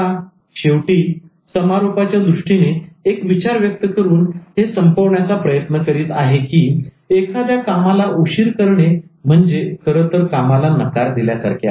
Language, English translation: Marathi, But ultimately, I try to end up by giving you the concluding thought that work delayed is actually work denied